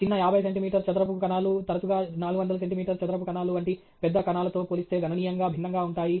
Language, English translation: Telugu, Smaller 50 centimeter square cells often perform significantly different relative to larger cells such as 400 centimeter square cells